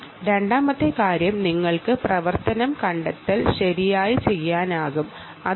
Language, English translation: Malayalam, therefore, second challenge is to do activity detection